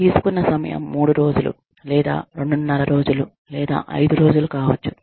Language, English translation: Telugu, The time taken, is 3 days, or maybe 2 1/2 days, or maybe 5 days